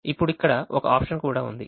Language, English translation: Telugu, now there is also an option here